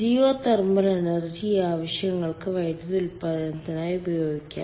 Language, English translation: Malayalam, geothermal energy can be ah used for power generation